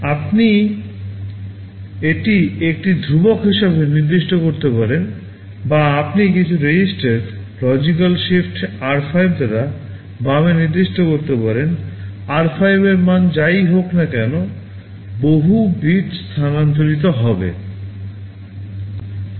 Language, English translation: Bengali, You can specify this as a constant or you can also specify some register, logical shift left by r5; whatever is the value in r5 that many bits will be shifted